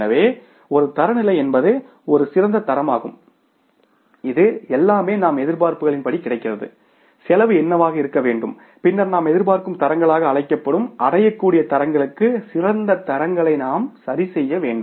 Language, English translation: Tamil, So, one standard is the ideal standard that if the everything is available as per our expectations what should be the cost and then you have to adjust the ideal standards to the attainable standards which are called as expected standards